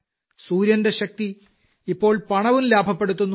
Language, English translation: Malayalam, The power of the sun will now save money and increase income